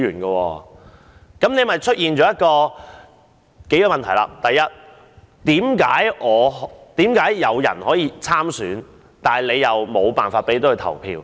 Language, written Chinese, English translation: Cantonese, 這樣引申出多個問題：第一，為何有人可以參選，卻沒有投票權？, This has given rise to many problems . First how come someone can run for the election but has no right to vote?